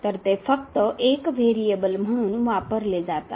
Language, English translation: Marathi, So, they are used to be only one variable